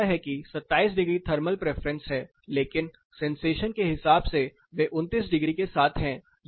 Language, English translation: Hindi, Which says that 27 degree is the thermal preference, but they can sensation wise they are with 29 degrees